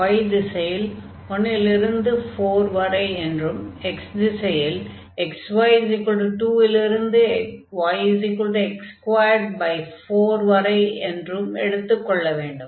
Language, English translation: Tamil, So, in the direction of y we will go from 1 to 4, and in the direction of x we will go from this x y is equal to 2 to y is equal to x square by 4